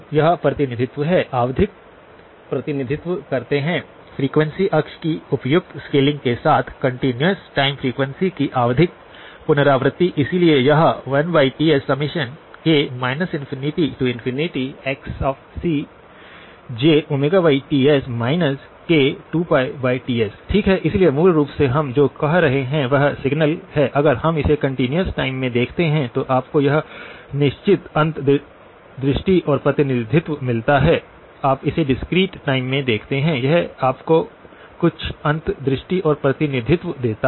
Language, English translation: Hindi, This is the representation; periodic represent; periodic repetitions of the continuous time frequency with the appropriate scaling of the frequency axis, so it is 1 over Ts summation k equal to minus infinity to infinity Xc of j omega by Ts minus k times 2pi by Ts, okay, so basically what we are saying is the signal if we view it in the continuous time, gives you a certain insight and representation, you view it in the discrete time it gives you certain insights and representation